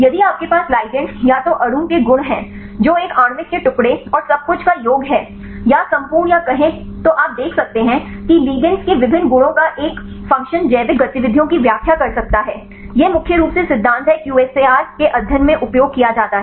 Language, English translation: Hindi, If you have the ligands either the molecule properties of that a individual fragments and sum of everything, or the whole or say whole you can see there is a function of the different properties of the ligands can explain the biological activities, this is the principle mainly used in the QSAR studies right